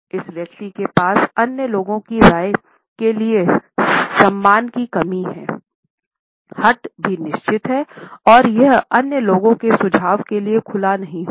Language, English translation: Hindi, This person has a certain lack of respect for the opinions of other people, also has certain stubbornness and would not be open to the suggestions of other people